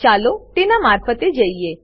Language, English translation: Gujarati, Let us go through it